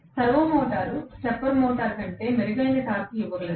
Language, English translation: Telugu, Only thing is servo motor can give better torque than stepper motor